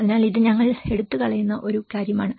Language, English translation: Malayalam, So this is one thing, which we have taking away